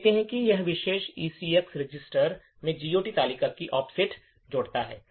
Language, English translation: Hindi, More details we see that this particular instruction adds the offset of the GOT table to the ECX register